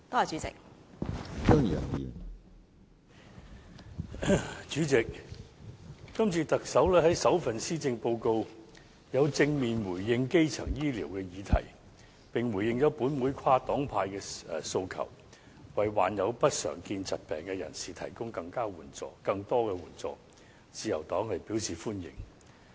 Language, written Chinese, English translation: Cantonese, 主席，今次特首在首份施政報告正面回應基層醫療的議題，並回應了本會跨黨派的訴求，為罹患不常見疾病的人士提供更多援助，自由黨表示歡迎。, President in her first Policy Address the Chief Executive has positively addressed the issues of primary health care and responded to the cross - party request of this Council for provision of more assistance to patients with uncommon diseases . The Liberal Party welcomes this measure